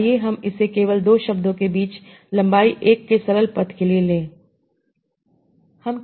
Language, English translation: Hindi, Let's take it simply for the simple paths of length one between two words